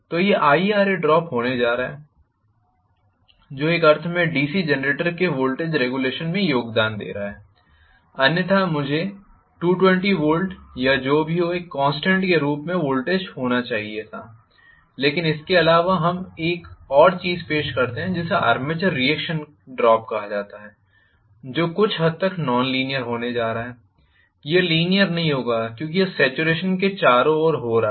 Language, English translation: Hindi, So, this is going to be IaRa drop which is contributing to in one sense the regulation of the DC Generator otherwise I should have had the voltage as a constant at 220 volts or whatever, but apart from this we just introduce one more thing called armature reaction drop, which is going to be somewhat nonlinear, it will not be linear because it is playing around with saturation and other things which are basically the manifestation of any magnetic circuit involving Ferro magnetic material